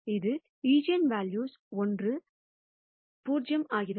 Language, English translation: Tamil, That is one of the eigenvalues becomes 0